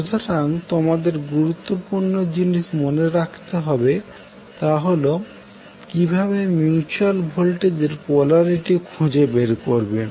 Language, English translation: Bengali, So the important thing which you have to remember is that how you will find out the polarity of mutual voltage